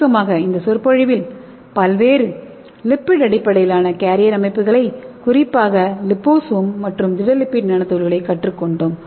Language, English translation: Tamil, So as a summary in this lecture we have learnt various lipid based carrier system and especially liposome and solid lipid nanoparticles and also we have learned various applications of lipid based nanoparticles